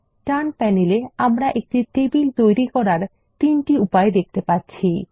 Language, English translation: Bengali, On the right panel, we see three ways of creating a table